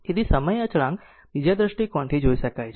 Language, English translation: Gujarati, So, the time constant may be viewed from another perspective